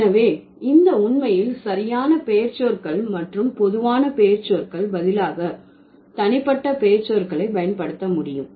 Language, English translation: Tamil, So, these are the different ways by which you can actually replace the proper nouns and the common nouns and rather you can actually use the personal nouns or said the personal pronouns